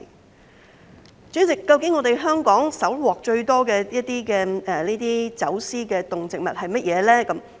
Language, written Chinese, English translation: Cantonese, 代理主席，究竟香港搜獲最多的走私動植物是甚麼？, Deputy President what are the most common animal and plant species seized in smuggling crackdowns in Hong Kong?